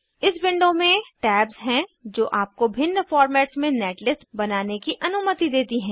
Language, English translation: Hindi, This window contains tabs which allow you to generate netlist in different formats